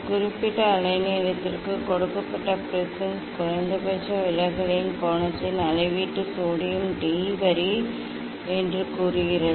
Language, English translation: Tamil, measurement of angle of minimum deviation of a given prism for a particular wavelength say sodium D line